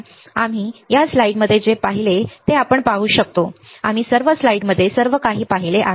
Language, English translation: Marathi, Now, we can see everything we have seen in the in the slides right, we have seen everything in the slides